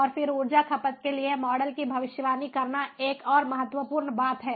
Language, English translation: Hindi, then predicting models for energy consumption is another ah important thing